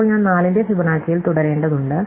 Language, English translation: Malayalam, So, now I have to continue with Fibonacci of 4